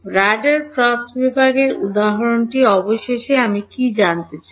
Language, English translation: Bengali, The radar cross section example finally, what do I want to know